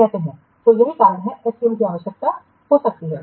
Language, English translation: Hindi, So, that can be another reason why SCM is required